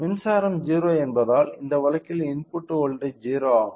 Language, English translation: Tamil, So, since the power is 0, the input voltage is 0 in this case